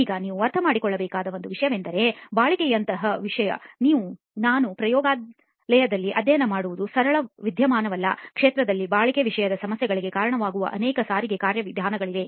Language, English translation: Kannada, Now the one thing that you need to understand is durability is not a simple phenomenon like we studied in the lab, in the field there are multiple transport mechanisms that lead to durability problems